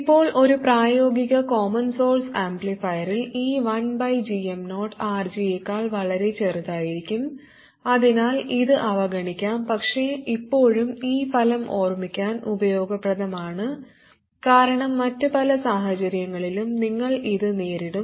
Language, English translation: Malayalam, Now in a practical common source amplifier there is 1 by GM 0 is likely to be much much smaller than RG so it can be neglected But still this result itself is useful to remember because you will encounter this in many other situations